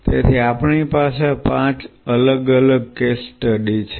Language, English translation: Gujarati, So, we have 5 different case studies